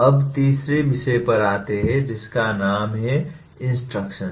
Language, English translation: Hindi, Now come to the third topic namely “instruction”